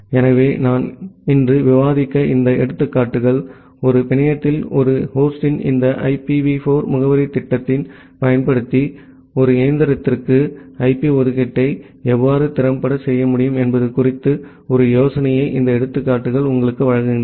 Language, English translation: Tamil, So, these examples that I have discussed today so, these examples give you an idea about how you can effectively do IP allocation to a machine using this IPv4 addressing scheme of a host in a network